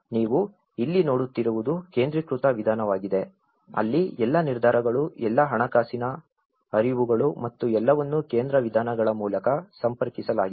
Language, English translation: Kannada, What you are seeing here, is the centralized approach, where all the decisions all the financial flows and everything is connected through the centre means